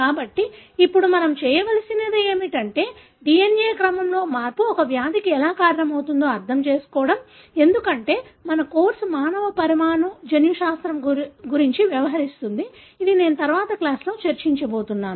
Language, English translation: Telugu, So, what we need to do now next is to understand how a change in the DNA sequence can cause a disease, because our course deals with human molecular genetics, so it is something I am going to discuss in the next class